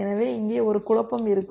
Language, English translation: Tamil, So there would be a confusion here